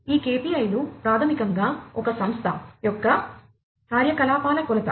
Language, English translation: Telugu, These KPIs are basically a measure of the activities of an organization